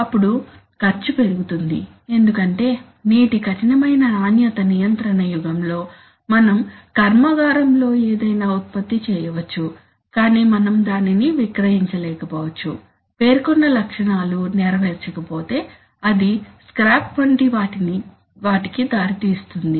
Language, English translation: Telugu, Then our cost goes up because in today's era of stringent quality control we may produce something in the factory but we may not be able to sell it, if the stated specifications are not met, so that means that it will result in things like scrap, lot of loss of material, energy, so the cost will go up